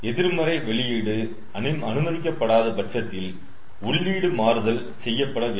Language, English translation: Tamil, if negative output is not allowed, then our input has to be changed